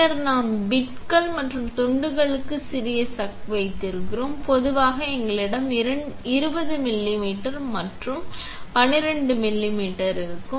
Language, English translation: Tamil, Then we have small chuck for bits and pieces, normally we have a 20 millimeter and 12 millimeters